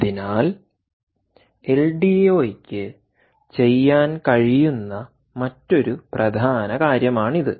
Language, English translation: Malayalam, so this is another important thing that ldo can do